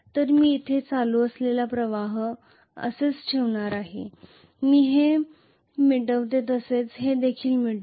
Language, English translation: Marathi, So I am going to have the current flowing here like this let me erase this let me erase this as well